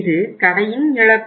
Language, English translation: Tamil, It is the loss of the store